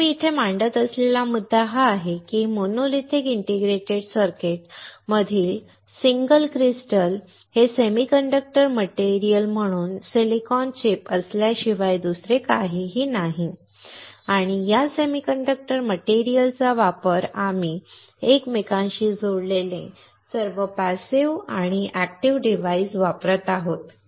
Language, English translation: Marathi, So, the point I am making here is that the single crystal in this monolithic integrated circuit is nothing but a silicon chip as a semiconductor material and on top of this semiconductor material, we are using all the passive and active components which are interconnected